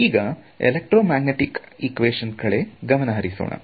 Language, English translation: Kannada, Then let us come to the equations of electromagnetics